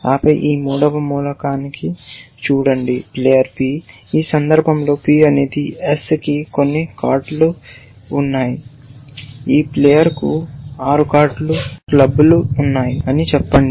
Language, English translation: Telugu, And then look at this third element that player P, in this case P is S has some cards of, let us say this player has 6 cards of clubs